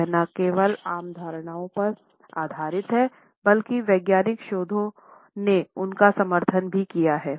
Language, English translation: Hindi, These are based not only on common perceptions, but they have also been supported by scientific researches